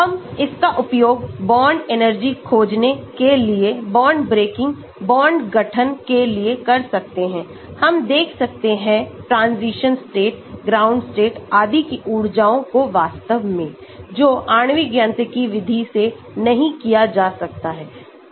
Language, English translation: Hindi, We can use it for finding bond energy, required for bond breaking, bond formation, we can look at energies of transition state, the ground state and so on actually, which cannot be done with molecular mechanics method